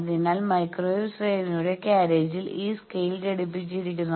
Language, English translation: Malayalam, So, in the carriage of the microwave range you have these scale attached